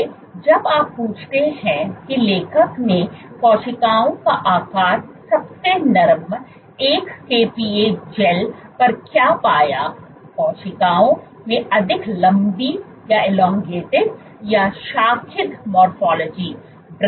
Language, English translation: Hindi, So, when you ask what is the shape of the cells what the authors found was on the softest 1 kPa gel, the cells had a more elongated or a branched morphology